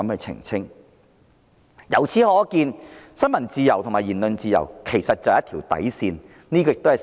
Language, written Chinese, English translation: Cantonese, 由此可見，新聞自由和言論自由是一條底線。, Hence it is evident that freedom of the press and freedom of speech are the bottom lines